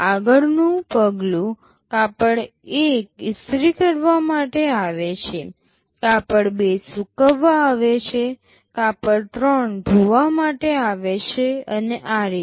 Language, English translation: Gujarati, Next step, cloth 1 is coming for ironing, cloth 2 is coming for drying, cloth 3 for washing and so on